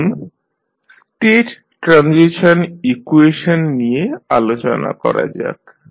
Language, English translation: Bengali, Now, let us talk about the state transition equation